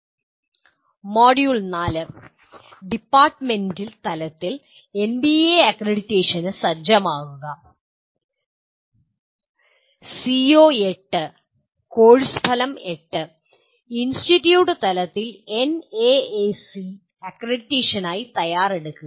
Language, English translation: Malayalam, Module 4 prepare for NBA accreditation at the department level and CO8, course outcome 8 prepare for NAAC accreditation at the institute level